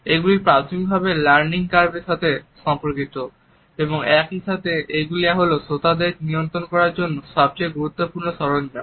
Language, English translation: Bengali, They are related with the learning curve primarily and at the same time they are the most significant tool we have of controlling the audience